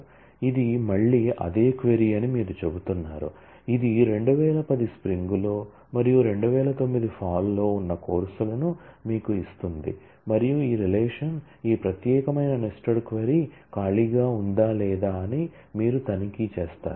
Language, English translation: Telugu, So, you are saying that this is again the same query which gives you the courses that are in spring 2010 and also in this fall 2009 and you check whether this relation, whether this particular nested query is an empty one or not